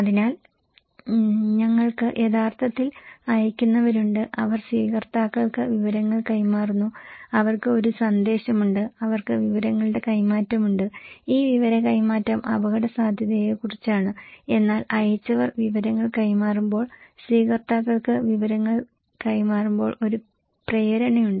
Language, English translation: Malayalam, So, we are actually we have senders and they are passing informations to the receivers and they have a message and they have exchange of informations and this exchange of information is about risk but when the senders passing the information, passing the information to the receivers, there is a motive